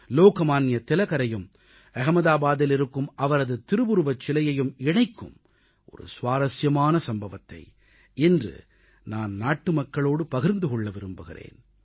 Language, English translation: Tamil, I want to narrate an interesting incident to the countrymen which is connected with Lok Manya Tilak and his statue in Ahmedabad